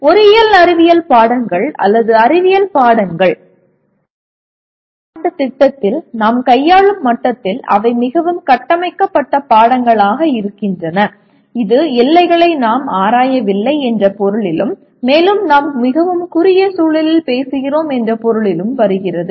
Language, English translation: Tamil, The engineering science subjects or science subjects; the way at the level at which we are handling in a 4 year program they are fairly structured subjects in the sense we are not exploring on the frontiers and we are also talking about in very very narrow context